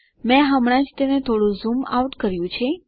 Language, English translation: Gujarati, I just zoomed it out a little bit